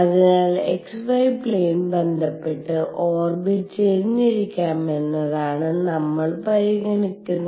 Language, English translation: Malayalam, So, the possibility we are considering is that the orbit could also be tilted with respect to the xy plane